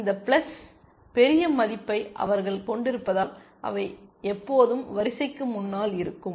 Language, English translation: Tamil, Because they have this plus large value, they will always be ahead of the queue